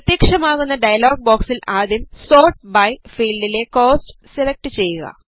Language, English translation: Malayalam, In the dialog box which appears, first select Cost in the Sort by field